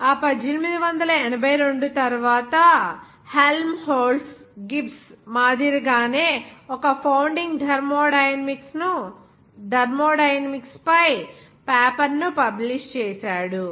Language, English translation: Telugu, After that 1882, Helmholtz published a founding thermodynamics paper similar to Gibbs